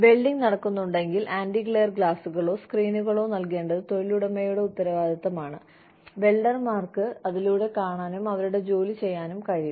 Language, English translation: Malayalam, If there is some welding going on, it is the responsibility of the employer, to provide the antiglare glasses or screens, you know, through which the welders can see, and do their work